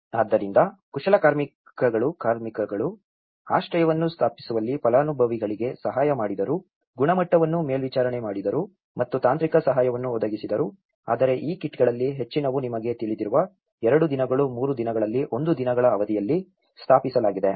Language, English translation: Kannada, So, the artisans assisted beneficiaries in setting out the shelters, monitored the quality and provided the technical assistance but most of these kits have been erected in a daysí time you know 2 days, 3 days